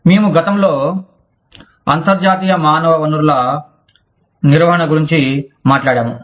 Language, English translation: Telugu, We were talking about, International Human Resources Management, last time